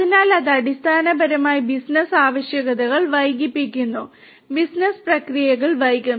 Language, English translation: Malayalam, So, that basically delays the business requirements, business processes will be delayed